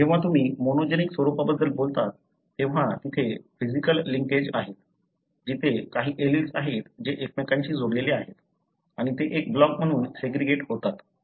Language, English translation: Marathi, When you talk about monogenic form, there are, you know, physical linkages, there are some alleles, they are linked to each other and they segregate as a block